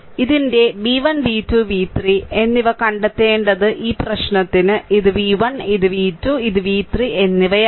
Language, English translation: Malayalam, So, for this problem that you have to find out v 1 v 2 and v 3 of this right so, this is v 1 this is v 2 and this is v 3 right